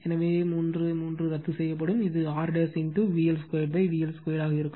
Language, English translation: Tamil, So, 3, 3 will be cancel, it will be R dash into V L square upon V L square